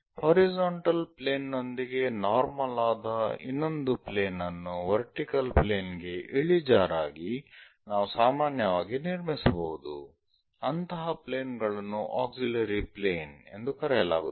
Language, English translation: Kannada, We can construct one more plane normal to horizontal plane inclined inclined with the vertical plane such kind of planes are called auxiliary planes